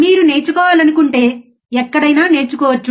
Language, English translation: Telugu, Learning can be done anywhere if you want to learn